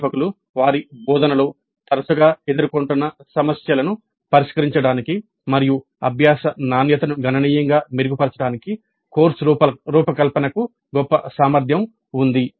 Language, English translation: Telugu, Course design has the greatest potential for solving the problems that faculty frequently faced in their teaching and improve the quality of learning significantly